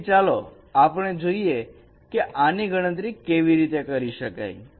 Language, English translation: Gujarati, So let us see how we can compute this